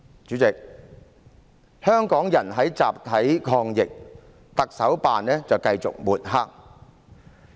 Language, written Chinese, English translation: Cantonese, 主席，香港人在集體抗疫，特首辦卻繼續抹黑。, President Hongkongers are fighting the epidemic together but the Chief Executives Office keeps mudslinging